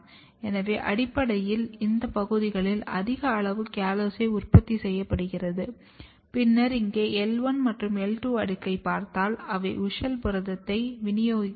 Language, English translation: Tamil, So, you are basically producing high amount of callose in this region and then if you look here the L1 layer and L2, they do not get WUSCHEL protein distributed